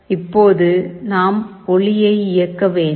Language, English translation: Tamil, Now, we have to switch ON the light